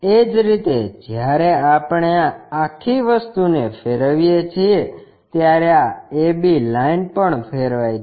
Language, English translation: Gujarati, Similarly, when we are rotating this entire thing this a b line also gets rotated